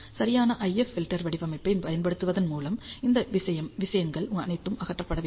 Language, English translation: Tamil, And all these things have to be eliminated by using a proper IF filter design